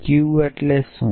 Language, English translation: Gujarati, What does q mean